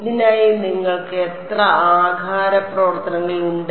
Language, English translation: Malayalam, How many shape functions you have for this